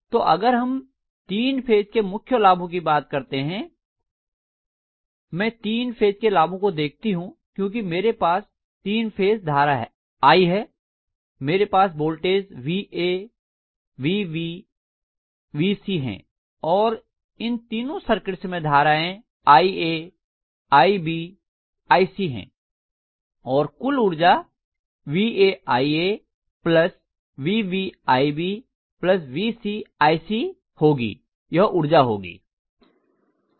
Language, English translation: Hindi, So if you actually look at the three phase the major advantages, if I look at the advantages of three phase because I have in three phase I am going to have Va, Vb, Vc and in all the three circuits I am going to have ia, ib and ic and the overall power is going to be Va ia plus Vb ib plus Vc ic, this is going to be the power